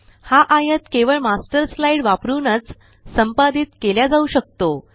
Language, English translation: Marathi, This rectangle can only be edited using the Master slide